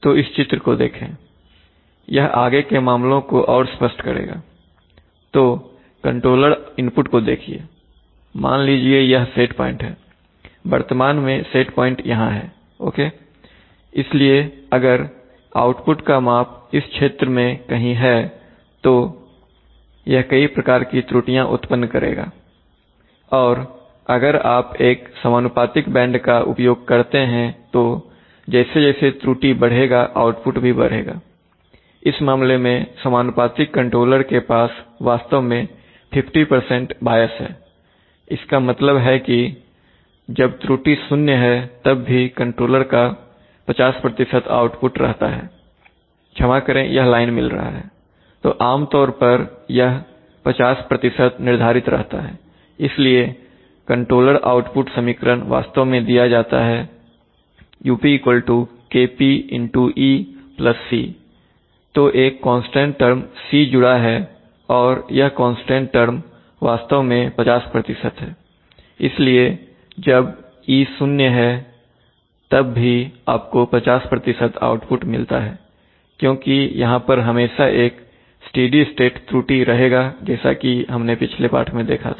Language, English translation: Hindi, So look at, this diagram will clarify matters further, so here look at the controller input and suppose this is the set point, currently the set point is set here okay so if the measurement or the output is, the measurement of the output could be anywhere in this zone, so for very, so it will cause various kinds of error and if you use a proportional band then as the error will increase the output will increase, in this case the proportional controller actually has a 50% bias which means that, When the error is 0 there is still a 50% output of the controller, sorry this line is getting, so this is typically set at 50%, so there is a, so the controller output equation is actually given as u equal to Kp into e plus, plus a constant term, so plus a constant term C and this constant term is actually 50%, so when the e is zero still you get 50% output because otherwise they will always be a steady state error as we have seen in the last lesson